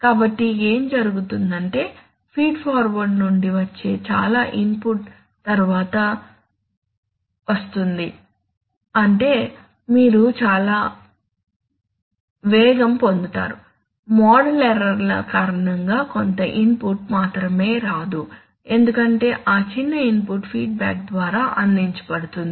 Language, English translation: Telugu, So what will happen is that you will get lot of speed in the sense that most of the, most of the input which will come from feed forward will come quickly, only a little input will not come because of the model inaccuracies that little input will be provided by the, by the feedback